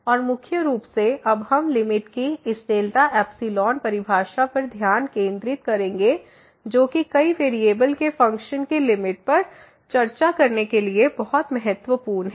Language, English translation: Hindi, And mainly, we will now focus on this delta epsilon definition of the limit which is very important to discuss the limit for the functions of several variable